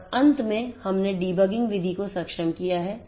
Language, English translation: Hindi, And finally, we have we have enabled the debugging method